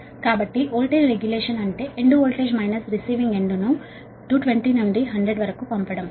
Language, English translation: Telugu, so voltage regulation is sending end voltage, minus this is your two twenty to hundred